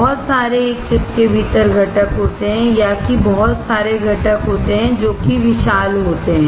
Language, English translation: Hindi, To have lot of components within a single chip or that having a lot of components that is spacious